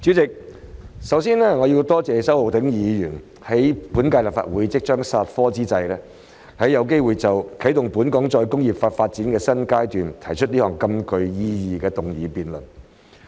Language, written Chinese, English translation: Cantonese, 主席，首先我要多謝周浩鼎議員，在本屆立法會即將煞科之際，有機會就"啟動本港再工業化發展的新階段"，提出這項極具意義的議案辯論。, President first of all I would like to thank Mr Holden CHOW for proposing this very meaningful motion debate on Commencing a new phase in Hong Kongs development of re - industrialization at a time when the current Legislative Council is about to stand prorogued